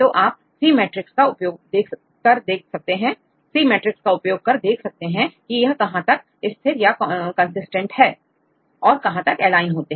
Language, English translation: Hindi, So, you can use c matrix to see how far they are consistent, how far they are aligned right which matrix usually we use